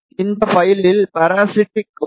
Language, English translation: Tamil, And this file contains the parasitic